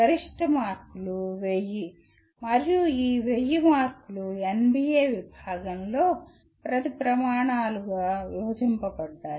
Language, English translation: Telugu, The maximum marks are 1000 and these 1000 marks are divided into in case of NBA about 10 criteria